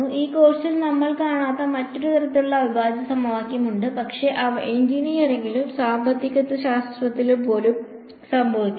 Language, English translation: Malayalam, There is yet another kind of integral equation which we will not come across in this course, but they also occur throughout engineering and even economics